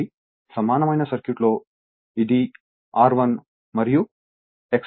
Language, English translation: Telugu, Therefore, your equivalent circuit say this is R 1 and X 1